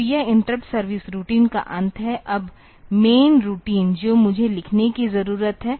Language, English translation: Hindi, So, this is the end of the interrupt service routine; now the main routine that I need to write